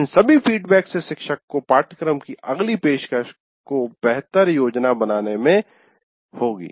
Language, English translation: Hindi, And all these feedbacks based on this will act, will facilitate the teacher to plan the next offering of the course much better